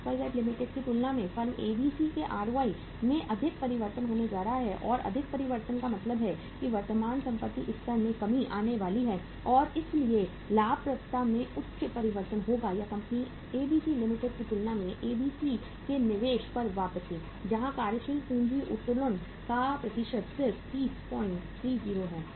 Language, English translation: Hindi, There is going to be more change in the ROI of the firm ABC as compared to XYZ Limited and more change means that current asset level is going to come down so there will be higher change in the profitability or return on investment of the company ABC as compared to the company XYZ Limited where the percentage of working capital leverage is just 30